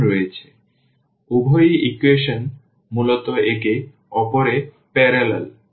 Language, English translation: Bengali, So, both the equations are basically parallel to each other